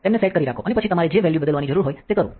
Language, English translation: Gujarati, So, hold them set and then change the value that you need